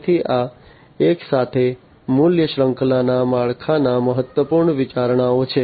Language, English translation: Gujarati, So, these together are important considerations of the value chain structure